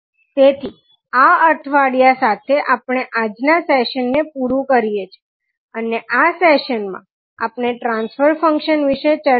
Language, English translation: Gujarati, So, with this week cab close over today's session and this session we discuss about the transfer function